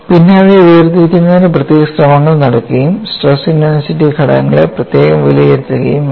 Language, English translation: Malayalam, Then they have to do special efforts to segregate them and then evaluate the stress intensity factors separately